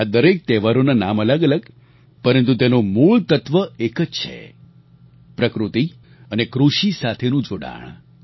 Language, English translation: Gujarati, These festivals may have different names, but their origins stems from attachment to nature and agriculture